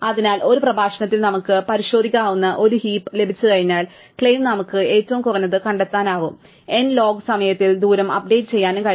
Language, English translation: Malayalam, So, once we have a heap which we will examine in a later lecture, the claim is we can find the minimum and update the distance in n log time